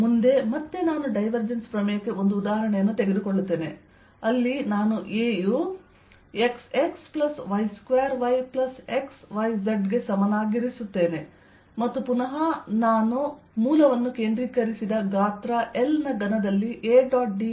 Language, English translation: Kannada, next, again, i take an example for divergence theorem where i am going to take a to be equal to x, x plus y square, y plus x, y, z, and again i want to calculate it's integral: a dot d s over a cubed of side l centred at the origin